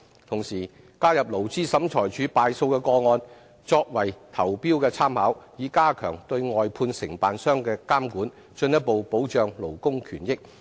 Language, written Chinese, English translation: Cantonese, 同時，加入勞資審裁處敗訴的個案，作為投標的參考，以加強對外判承辦商的監管，進一步保障勞工權益。, Also cases ruled against contractors by the Labour Tribunal should be included as reference for tenders so as to enhance supervision of outsourced contractors and offer further protection for workers rights and benefits